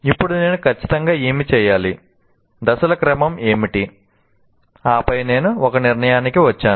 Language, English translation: Telugu, Now, I have to reflect what exactly is to be done, what are the sequence of steps, and then only come to conclusion